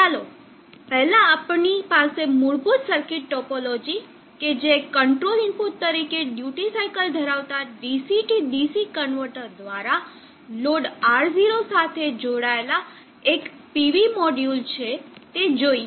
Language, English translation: Gujarati, Let us first have the basic circuit topology that is a PV module connected to the load R0 through a DC to DC converter having duty cycle of the control input